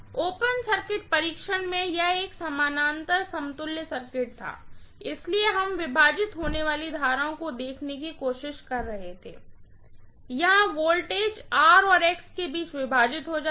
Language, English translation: Hindi, In open circuit test it was a parallel equivalent circuit, so we were trying to look at the currents being divided, here the voltage is getting divided between R and X, right